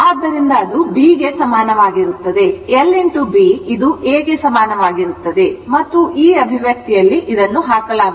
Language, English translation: Kannada, So, l into B, this l and B is equal to A and you put in put in this expression